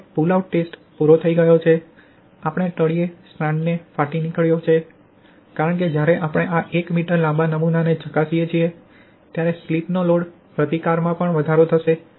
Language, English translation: Gujarati, Now the pull out test is over, we have observed strand rupture at the bottom because when we test this 1 m long pull out specimen, the load resistance to the slip will also increase